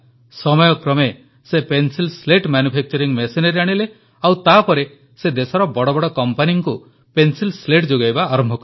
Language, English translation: Odia, With the passage of time, he bought pencil slat manufacturing machinery and started the supply of pencil slats to some of the biggest companies of the country